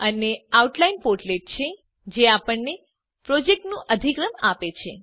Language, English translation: Gujarati, And the Outline portlet which gives us hierarchy of the project